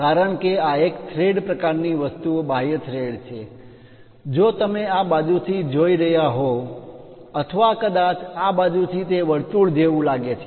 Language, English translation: Gujarati, Because its a thread kind of thing external thread, if you are looking from this side or perhaps from this side it looks like a circle